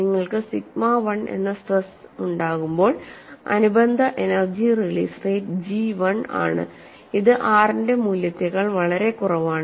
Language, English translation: Malayalam, When you have stress as sigma 1, the corresponding energy release rate is 0, which is far below the value of R